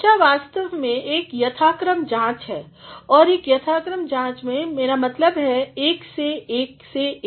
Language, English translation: Hindi, Discussion is actually a systematic analysis, it is a systematic analysis I mean 1 to 1 by 1